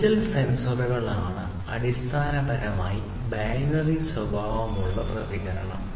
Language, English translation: Malayalam, Digital sensors are basically the ones where the response is of binary nature